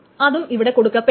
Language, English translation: Malayalam, Again, this is not going to be allowed